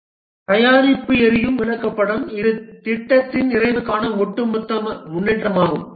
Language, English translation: Tamil, The product burn down chart, this is the overall progress towards the completion of the project